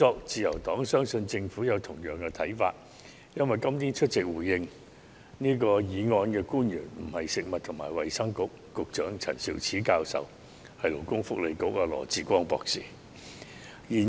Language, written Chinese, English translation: Cantonese, 自由黨相信政府有同樣的看法，因為今天出席回應議案的官員並非食物及衞生局局長陳肇始教授，而是勞工及福利局局長羅致光博士。, The Liberal Party believes that the Government holds the same view because the public officer presents today is not the Secretary for Food and Health Prof Sophia CHAN but the Secretary for Labour and Welfare Dr LAW Chi - kwong